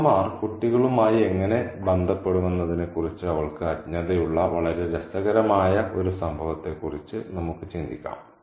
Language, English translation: Malayalam, And we can think about a very interesting incident where she is quite ignorant about how mothers would relate to their children